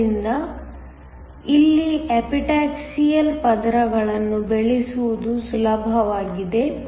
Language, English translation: Kannada, So, it is easier to grow Epitaxial layers here